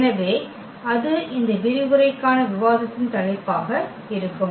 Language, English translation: Tamil, So, that will be the also topic of discussion of this lecture